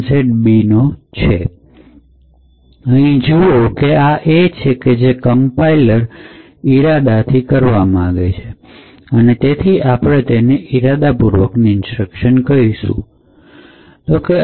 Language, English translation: Gujarati, However, we see that this is may be what the compiler had intended to do and therefore we call this as intended instructions